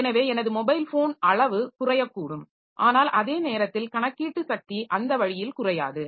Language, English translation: Tamil, So, my mobile phone size can go down and but at the same time it is computational power does not decrease that way